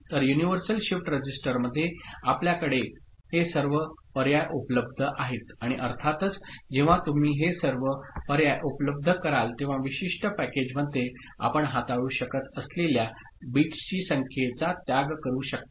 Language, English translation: Marathi, So, in the universal shift register, you have all these options available r ight and of course, when you make all these options available the sacrifice will be the number of bits you can handle within a particular package ok